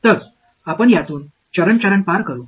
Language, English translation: Marathi, So, we will sort of go through it step by step